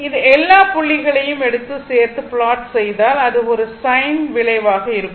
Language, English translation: Tamil, And if you take all these point and join it and plot it, it will be a sin curve, right